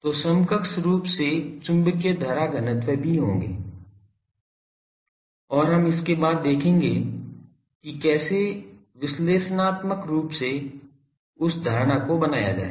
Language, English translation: Hindi, So, equivalently there will be also magnetic current densities, and we will see just after this how to analytically make that assumption